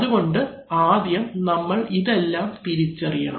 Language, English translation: Malayalam, So we have to first identify these